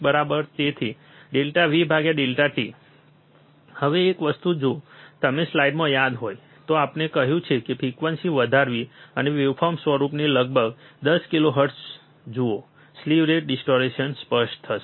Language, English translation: Gujarati, So, delta V by delta t, now one thing if you remember in the slide, we have said that increasing the frequency, and watch the waveform somewhere about 10 kilohertz, slew rate distortion will become evident